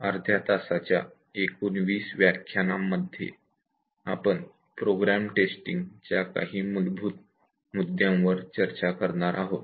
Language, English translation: Marathi, Over 20 half an hour slots, we will discuss some very basic issues on program testing